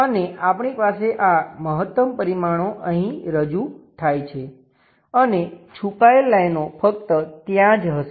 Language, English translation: Gujarati, And we have this maximum dimensions represented here and the hidden lines goes only at that level